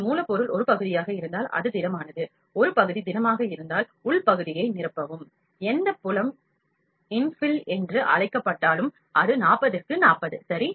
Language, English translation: Tamil, And the infield if your job is a part is solid; if a part is solid the infill the inner part, whatever the field in is called infill, that is 40 and 40 ok